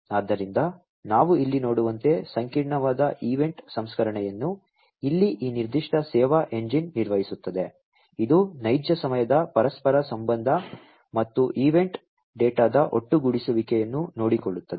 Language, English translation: Kannada, So, as we can see over here complex event processing will be performed by this particular service engine over here, which will take care of real time correlation and aggregation of the event data